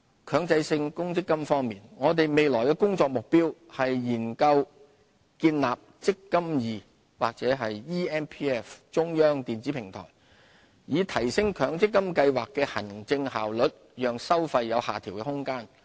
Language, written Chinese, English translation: Cantonese, 強制性公積金計劃我們未來的工作目標是研究建立"積金易"或 eMPF 中央電子平台，以提升強制性公積金計劃的行政效率，讓收費有下調的空間。, Mandatory Provident Fund Scheme Our future objective is to explore the development of eMPF a centralized electronic platform to enhance the administrative efficiency of the MPF Scheme thereby providing room for fee reduction